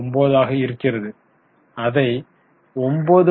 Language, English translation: Tamil, 09 as a percentage it becomes 9